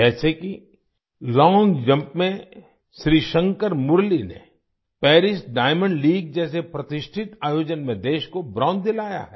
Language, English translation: Hindi, For example, in long jump, Shrishankar Murali has won a bronze for the country in a prestigious event like the Paris Diamond League